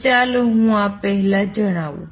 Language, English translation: Gujarati, So, let me state this first